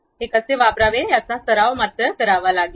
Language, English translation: Marathi, You have to practice how to use this